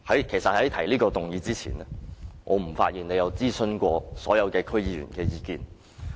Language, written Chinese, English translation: Cantonese, 其實在他提出這議案前，我發現他不曾諮詢所有區議員的意見。, I found out that before he proposed this motion he had not consulted all District Council DC members